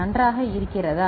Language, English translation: Tamil, Is it fine